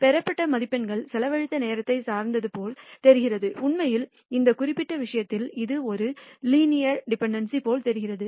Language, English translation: Tamil, The marks obtained seem to be dependent on the time spent and in fact, in this particular case you find that it looks like a linear dependency